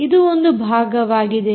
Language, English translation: Kannada, so this is first part